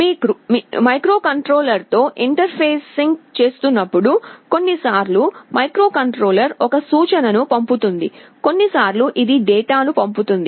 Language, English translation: Telugu, When you are interfacing with the microcontroller, sometimes microcontroller will be sending an instruction; sometimes it will be sending a data